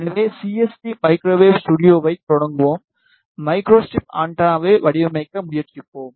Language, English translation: Tamil, So, let us start CST microwave studio, and try to design micro strip antenna